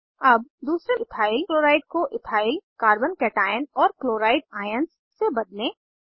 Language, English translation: Hindi, Now, lets convert second EthylChloride to Ethyl Carbo cation and Chloride ions